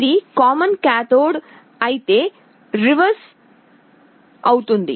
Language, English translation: Telugu, If it is common cathode just the convention will be reversed